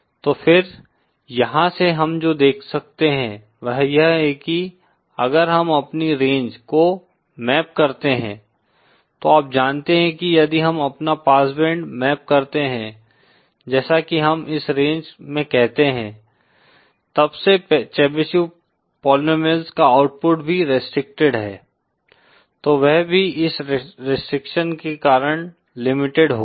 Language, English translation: Hindi, So then from here what we can see is that if we map our range you know that if we map our pass band as we call into this range then the output of Chebyshev polynomials since that is also restricted, then that also will be limited because of this restriction